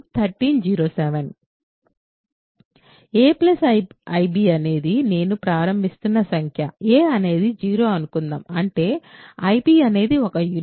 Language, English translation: Telugu, So, a plus ib is the number I am starting with suppose a is 0; that means, ib is a unit right